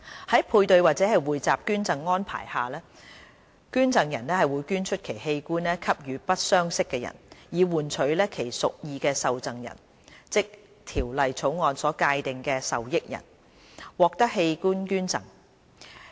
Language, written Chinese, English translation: Cantonese, 在配對或匯集捐贈安排下，捐贈人會捐出其器官給予不相識的人，以換取其屬意的受贈人，即《條例草案》所界定的"受益人"，獲得器官捐贈。, Paired or pooled donation arrangement is conducted between living non - related persons in exchange for the donation of an organ to the donors intended recipient that is the beneficiary as defined under the Bill